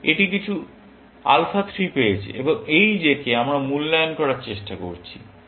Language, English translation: Bengali, This has got some alpha 3 and this j is what we are trying to evaluate